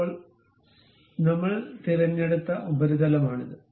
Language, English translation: Malayalam, Now, this is the surface what we have picked